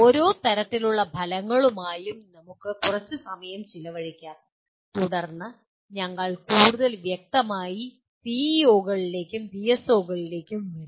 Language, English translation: Malayalam, Let us briefly spend some time with each type of outcome and then we will more specifically come to PEOs and PSOs